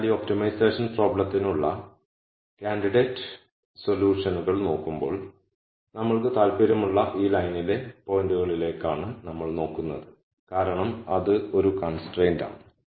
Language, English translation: Malayalam, So, when we looked at candidate solutions for this optimization problem we were looking at the points on this line that that we are interested in because that is a constraint